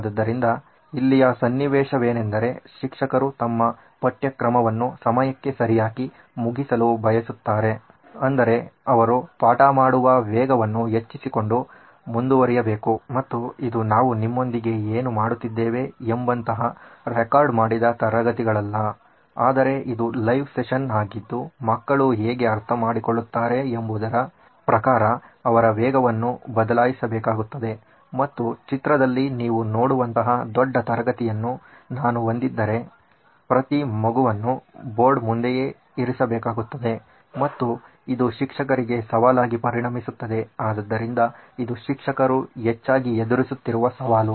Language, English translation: Kannada, So, here the scenario is that the teacher wants to finish their syllabus on time which means she has to keep the pace up, she has to keep going and this is not a recorded session like what we are doing with you but this is a live session where she has to change pace according to how people understand and if I have a large class like what you see in the picture it is going to be a challenge for the teacher to keep every child on board, so this is a challenge that teachers often face